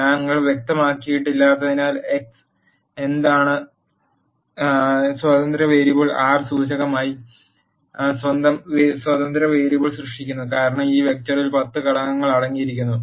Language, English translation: Malayalam, Since we have not specified, what is x which is independent variable, the R generates its own independent variable as the index, since this vector contains 10 elements